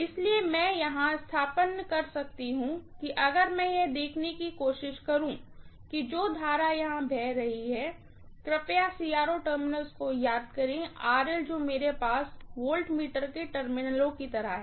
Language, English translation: Hindi, So, I can substitute this here, if I try to look at what is the current that is flowing here, please remember CRO terminals what I have is like voltmeter terminals